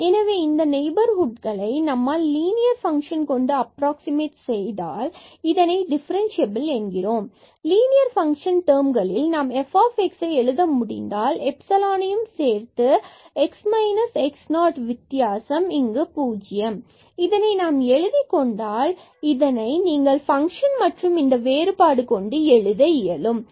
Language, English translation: Tamil, So, at least in the neighborhood of this point if we can approximate by a linear function then we call this function as differentiable or equivalently or mathematically, if we can write down this f x in terms of the linear function and plus the epsilon and this is the difference x minus x naught and this epsilon also goes to 0